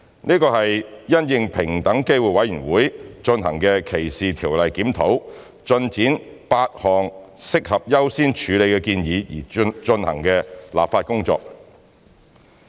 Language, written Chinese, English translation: Cantonese, 這是因應平等機會委員會進行的歧視條例檢討，推展8項適合優先處理的建議而進行的立法工作。, This legislative exercise was conducted with a view to taking forward the eight recommendations of higher priority in the Discrimination Law Review DLR undertaken by the Equal Opportunities Commission EOC